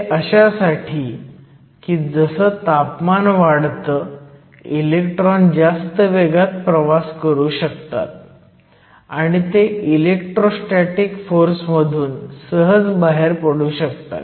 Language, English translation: Marathi, And this is because as the temperature increases your electrons can move faster and so they can easily escape the electrostatic force